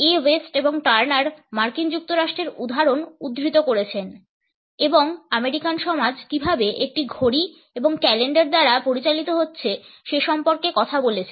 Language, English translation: Bengali, A West and Turner have quoted the example of the USA and have talked about how the American society is being governed by the clock and calendar